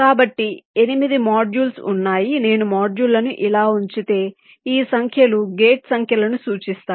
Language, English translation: Telugu, suppose if i place the modules like this, this numbers indicate the gate numbers